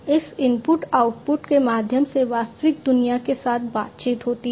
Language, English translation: Hindi, Through this input output, there is interaction with the real world, right